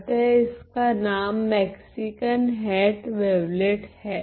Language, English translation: Hindi, So, hence the name the Mexican hat wavelet ok